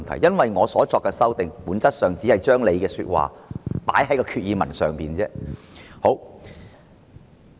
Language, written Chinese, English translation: Cantonese, 因為我所作的修訂議案，本質上只是把他的說話放在決議案內而已。, It is because my amending motion in essence merely seeks to incorporate his words into the Resolution